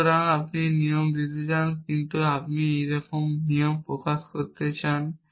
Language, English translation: Bengali, So, let me take the same rules, but I want to express something like this